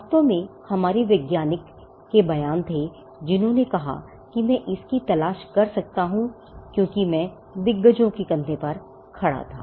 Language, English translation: Hindi, In fact, we had statements from scientist who have said that if I could look for it is because, I stood on the shoulders of giants